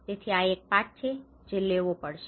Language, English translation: Gujarati, So these are the lessons one has to take it